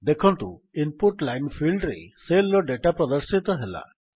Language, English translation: Odia, You see that the data of the cell is displayed in the Input line field